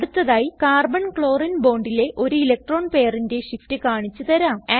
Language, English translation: Malayalam, Next, I will show an electron pair shift in the Carbon Chlorine bond